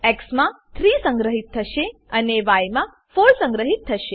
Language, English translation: Gujarati, 3 will be stored in x and 4 will be stored in y